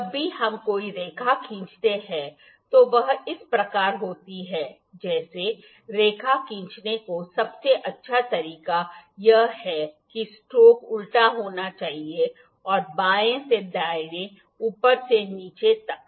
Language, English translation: Hindi, Whenever we draw a line it is like this, like the best way to draw the line is this the stroke has to be upside down and from left to right, from top to bottom